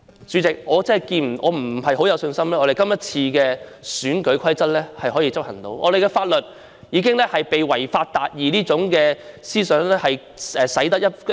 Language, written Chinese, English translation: Cantonese, 主席，對於我們今次能否執行選舉法例，我沒有多大信心，因為我們的法律已被"違法達義"這種思想徹底影響，大家根本不再......, President I do not have much confidence that the electoral legislation can be enforced this time round because our law has been thoroughly affected by the mentality of achieving justice by violating the law